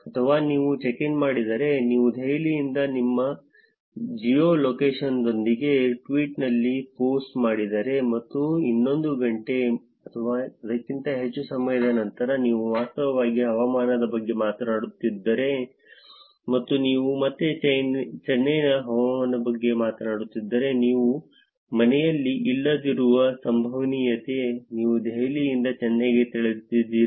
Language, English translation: Kannada, Or if you have checked in, if you have done a post in tweet with your geolocation on from Delhi and in another hour or so, you are talking about actually weather and couple of hours you are talking about weather in Chennai again, that is a probability that you are not at home, you moved from Delhi to Chennai